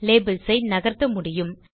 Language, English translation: Tamil, Labels can also be moved